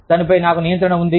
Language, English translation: Telugu, I have control over it